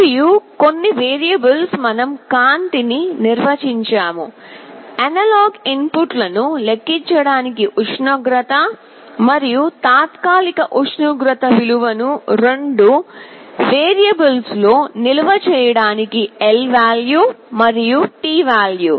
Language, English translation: Telugu, And some variables we have defined light, temper for calculating the analog inputs, and lvalue and tvalue to store temporary temperature value in two variables